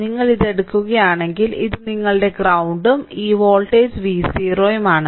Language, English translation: Malayalam, So, this is your if you take this is your ground say, this is your ground right and this voltage is V 0 means this voltage is V 0 right